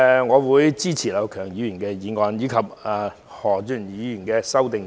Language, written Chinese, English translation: Cantonese, 我會支持劉業強議員的議案及何俊賢議員的修正案。, I will give my support to Mr Kenneth LAUs motion and Mr Steven HOs amendment